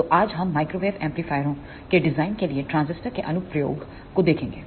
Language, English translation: Hindi, So, today, we will see the application of transistors for designing Microwave Amplifiers